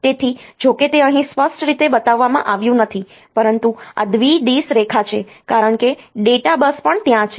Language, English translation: Gujarati, So, though it is not shown here explicitly, but this is the bidirectional line because the data bus is also there